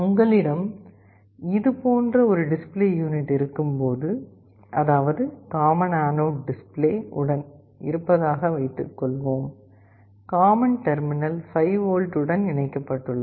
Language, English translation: Tamil, When you have a display unit like this let us assume that I have a common anode display, common terminal is connected to 5V